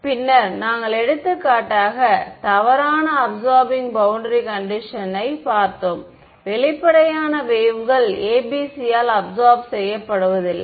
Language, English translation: Tamil, Then we looked at the inaccuracy of absorbing boundary conditions for example, evanescent waves are not absorbed by ABC